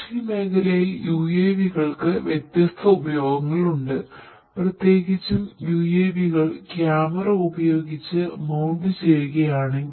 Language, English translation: Malayalam, There are lot of different other uses of use of UAVs in agriculture, particularly if you mount these UAVs with a camera